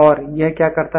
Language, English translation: Hindi, And what it does